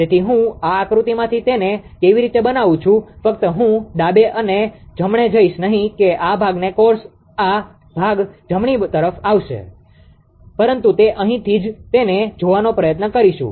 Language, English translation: Gujarati, So, how I am made it from this diagram only I will not go for left and right right that this portion of course, will come to this portion right, but it from here only we will try to make it look at that